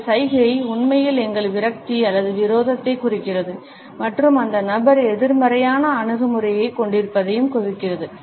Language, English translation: Tamil, This gesture actually indicates our frustration or hostility and signals that the person is holding a negative attitude